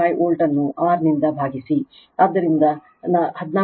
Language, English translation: Kannada, 85 volt divided by R, so 14